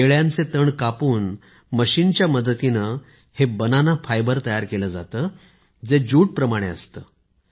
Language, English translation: Marathi, Banana fibre is prepared by cutting the stem of a banana with the help of a machine, the fibre is like jute or flax